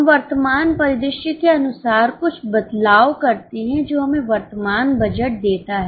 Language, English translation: Hindi, We make a few changes as per the current scenario which gives us the current budget